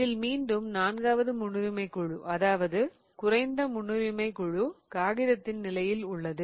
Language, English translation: Tamil, Again the fourth priority group, the least priority group is in the plane of the paper